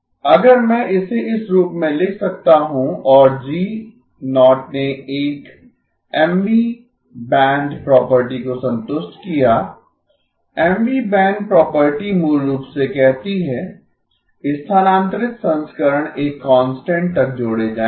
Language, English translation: Hindi, If I can write it in this form and G0 satisfied a Mth band property, Mth band property basically says, the shifted versions will add up to a constant